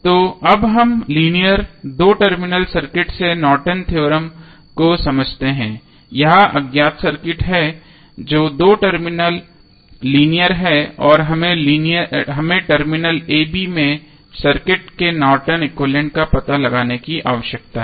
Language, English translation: Hindi, So, now let us understand the Norton's Theorem from the linear two terminal circuit this is unknown circuit which is linear two terminal and we need to find out the Norton's equivalent of the circuit at terminal a, b